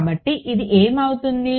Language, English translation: Telugu, So, what will this become